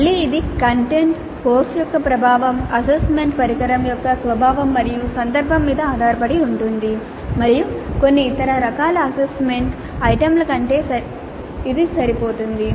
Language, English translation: Telugu, Again it depends upon the content, the nature of the course, the nature of the assessment instrument and the context and where something is more suitable than some other kind of assessment item